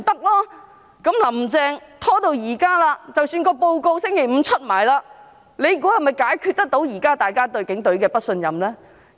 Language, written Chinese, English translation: Cantonese, "林鄭"拖延至今，即使報告在星期五發表，大家猜想，這能否解決現時大家對警隊不信任的問題？, Carrie LAM has been stalling . Even if the report is released on Friday do Members think it can resolve the peoples current mistrust in the Police?